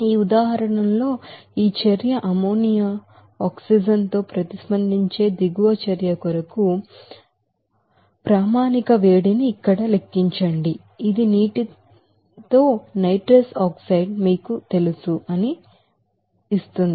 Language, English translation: Telugu, In this example, it is given calculate here the standard heat of reaction for the following reaction given where this reaction ammonia is reacting with oxygen which will give you that you know nitrous oxide with water